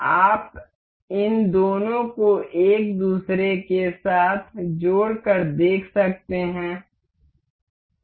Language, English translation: Hindi, You can see these two getting aligned to each other